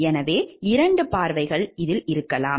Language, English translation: Tamil, So, there could be 2 viewpoints